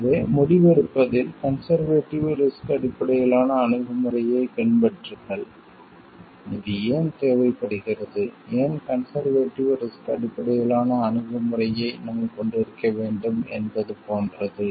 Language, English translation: Tamil, So, adopt a conservative risk based approach to decision making, why this is required, why we need to have a conservative risk based approach it is like